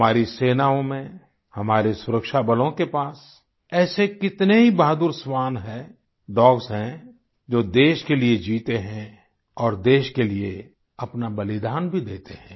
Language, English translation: Hindi, Our armed forces and security forces have many such brave dogs who not only live for the country but also sacrifice themselves for the country